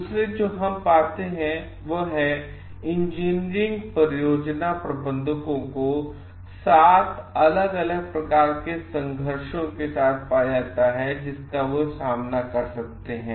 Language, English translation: Hindi, So, what we find like, engineering project managers have found 7 different kinds of conflicts as they may face